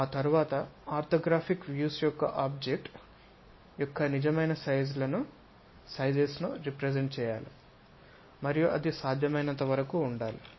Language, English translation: Telugu, After that orthographic views should represents the true size of that object and also is supposed to show us true shape of the object and that should be as much as possible